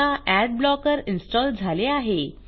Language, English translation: Marathi, Ad blocker is now installed